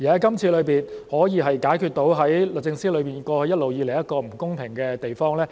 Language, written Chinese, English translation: Cantonese, 今次修例可以解決制度中一直以來一個不公平的地方。, The legislative amendment can address the long - standing unfairness in the regime